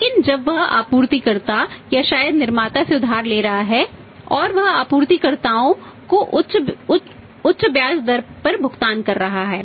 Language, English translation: Hindi, But when he is borrowing from the supplier or maybe manufacturing he is paying the higher rate of interest to the suppliers